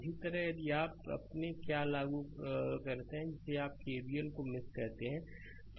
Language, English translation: Hindi, Similarly, if you apply your what you call KVL in mesh 2